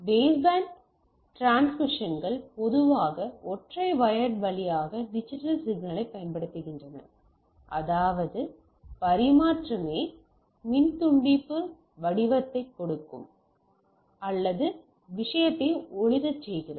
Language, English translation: Tamil, Baseband transmissions typically use digital signalling over a single wire right so; that means, the transmission themselves take the form of either electrical pulse or light the thing